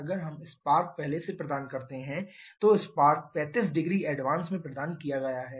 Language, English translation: Hindi, If we provide the spark early here the spark has been provided 35 degree in advance